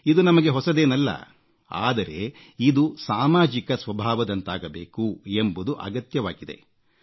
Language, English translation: Kannada, This is nothing new for us, but it is important to convert it into a social character